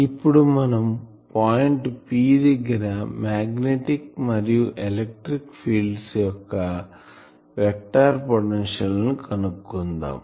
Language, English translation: Telugu, However, we will now, find out from these vector potential the electric and magnetic fields at a distance point P